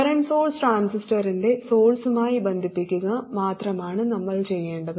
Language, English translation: Malayalam, All we have to do is to connect the current source to the source of the transistor